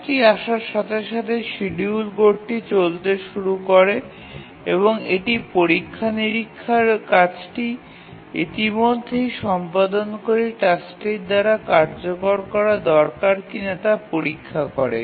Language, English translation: Bengali, So as the job arrives, the scheduler code starts running and checks whether this is a task which has arrived needs to be executed by preempting the already executing task